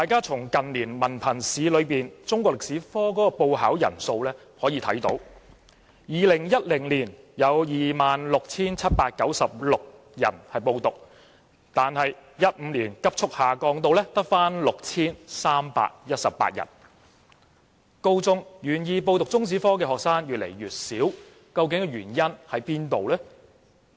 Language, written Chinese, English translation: Cantonese, 從近年文憑試中史科的報考人數可見 ，2010 年有 26,796 人報考，但2015年報考人數卻急速下降至 6,318， 在高中階段願意修讀中史科的學生越來越少，原因為何？, This can be reflected from the number of candidates who applied to sit for the examination of Chinese History in the Hong Kong Diploma of Secondary Education Examination in recent years; in 2010 the number was 26 796 but the number of candidates rapidly declined to 6 318 in 2015 . What are the reasons for the declining number of students taking Chinese History at senior secondary level?